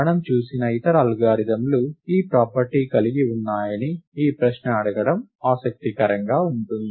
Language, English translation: Telugu, Its interesting to ask this question as to which other algorithms that we have seen have this property